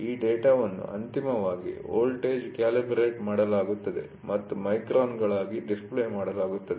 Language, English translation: Kannada, So, this data is finally, converted into voltage calibrated and displayed as microns